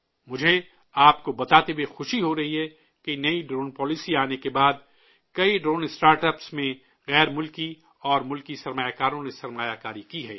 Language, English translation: Urdu, I am happy to inform you that after the introduction of the new drone policy, foreign and domestic investors have invested in many drone startups